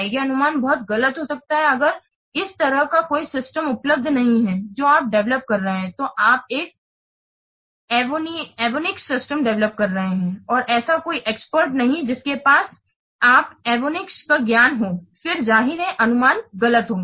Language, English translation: Hindi, The disadvantage that very, it may, the estimate may be very inaccurate if there are no exports available in this kind of what system that you are developing suppose you are developing a avionic system and there is no expert who have knowledge who has knowledge on the avionics then obviously the estimates will be wrong